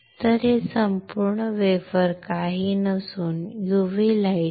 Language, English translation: Marathi, So, this whole wafer is exposed with this is nothing, but UV light